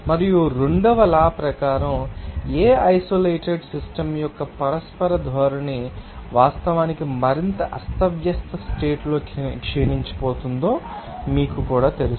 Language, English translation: Telugu, And according to the second law, it is also you know, say that there is a mutual tendency of any isolated system to actually degenerate into a more disordered state